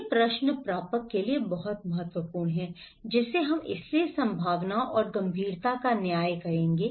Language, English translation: Hindi, These questions are very important for the receivers, which we, so, the probability and the severity he would judge